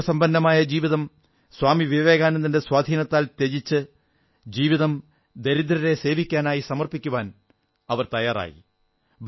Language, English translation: Malayalam, She was so impressed by Swami Vivekanand that she renounced her happy prosperous life and dedicated herself to the service of the poor